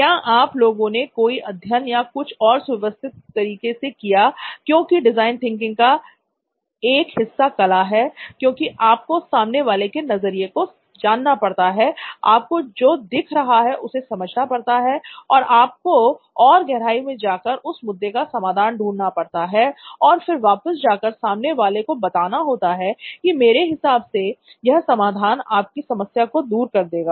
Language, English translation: Hindi, Is there any study or anything that you guys did systematically so because design thinking is one part of it is art in the sense that you have to empathize with the audience, you have to really get to know what you are observing but you are going a level deeper and then you are trying to solve that issue and then you are finally going back to them this is what I think will solve it for you